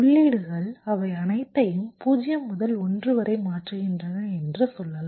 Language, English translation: Tamil, lets say the inputs are changing all of them from zero to one